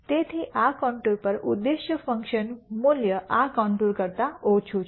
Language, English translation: Gujarati, So, the objective function value on this contour is less than this contour